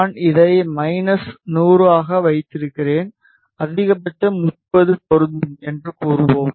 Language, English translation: Tamil, Let us say I keep it to minus 100 and max as let us say 30 apply ok